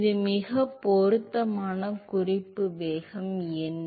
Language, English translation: Tamil, So, what is the most appropriate reference velocity